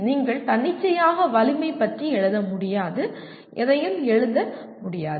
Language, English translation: Tamil, You cannot just write arbitrarily some strength and not write anything